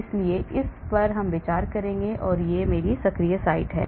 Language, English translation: Hindi, so I will consider that to be my active site,